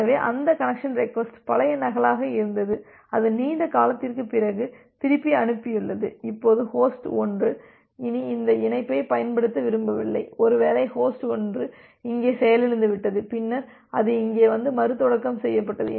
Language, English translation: Tamil, So, that connection request was a old duplicate that it has sent long back and now host 1 do not want to use that connection anymore, maybe host 1 has crashed here and then it got and restarted here, then it got restarted here